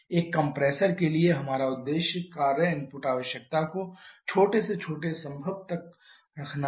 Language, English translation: Hindi, For a compressor our objective is to keep the work input requirement to small to the smallest possible